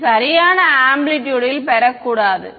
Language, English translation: Tamil, It should not gain in amplitude right ok